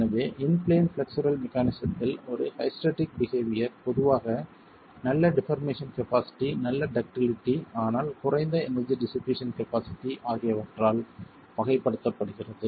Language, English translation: Tamil, So, hysteretic behavior in a in plain flexible mechanism is typically characterized by good deformation capacity, good ductility, but low energy dissipation capacity